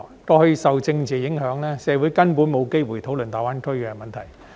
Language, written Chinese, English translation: Cantonese, 過去受政治影響，社會根本沒有機會討論大灣區的問題。, In the past owing to political impacts there was no chance to discuss GBA issues in society at all